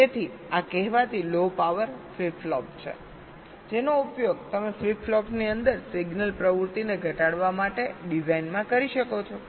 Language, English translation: Gujarati, so this is the so called low power flip flop, which you can use in a design to reduce the signal activity inside the flip flops